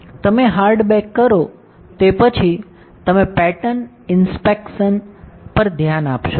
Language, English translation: Gujarati, After you perform hard bake, you will form look at the pattern inspection